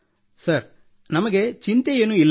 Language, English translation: Kannada, Sir, that doesn't bother us